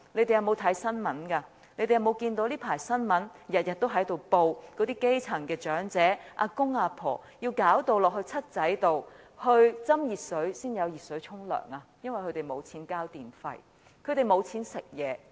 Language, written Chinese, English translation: Cantonese, 他們有沒有留意這陣子的新聞每天也報道基層長者要到 "7 仔"倒熱水才有熱水洗澡，因為他們沒有錢交電費和買東西吃。, Have they taken note of the recent daily news reports on the grass - roots elderly having to get hot water from convenience stores before they can take a hot bath as they have no money to pay their electricity bills and buy food to eat?